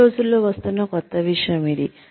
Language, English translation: Telugu, This is the new thing, that is coming up, these days